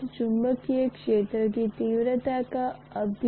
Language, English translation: Hindi, H is the cause, magnetic field intensity is the cause and B is the effect